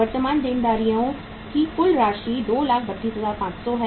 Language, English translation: Hindi, Now we have got the figure of current liabilities 232,500